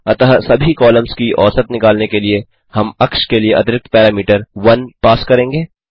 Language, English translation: Hindi, So to calculate mean across all columns, we will pass extra parameter 1 for the axis